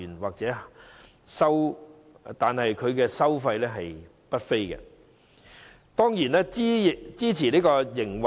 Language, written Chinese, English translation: Cantonese, 由於收費不菲，這些院舍自然可以支持營運。, Since these residential homes are charging exorbitant fees they can surely finance their operation